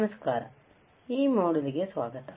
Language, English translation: Kannada, Hi, welcome to this module